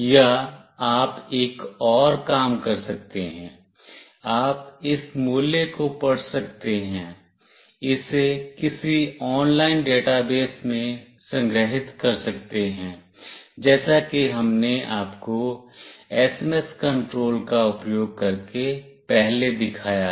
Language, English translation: Hindi, Or, you can do another thing, you can read this value, store it in some online database as we have shown you earlier using the SMS control